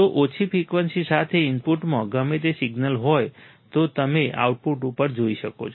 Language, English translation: Gujarati, So, whatever signal is there in the input with lower frequency,you will see at the output right